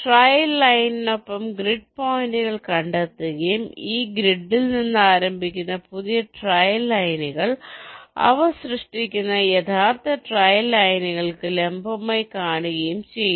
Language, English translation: Malayalam, two things: along the trail line, the grid points are traced and starting from this grid points, new trail lines which are perpendicular to the original trail line they are generated, let see